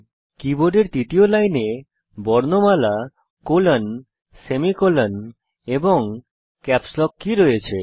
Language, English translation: Bengali, The third line of the keyboard comprises alphabets, colon/semicolon, and capslock key